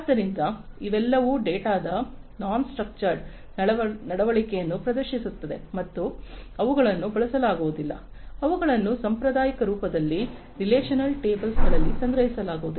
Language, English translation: Kannada, So, all of these will exhibit non structured behavior of data and they cannot be used, they cannot be stored in relational tables in the traditional form, right